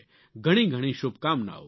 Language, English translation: Gujarati, Best wishes to you